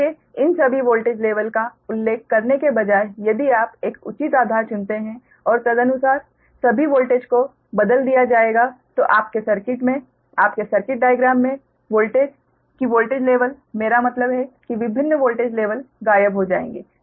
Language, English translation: Hindi, so all, instead of mentioning all these voltage level, if you choose an appropriate base and all the voltage accordingly will be transformed, then the voltage in the in your circuit, in your circuit diagram, that voltage, uh levels, i mean different voltage level, will disappear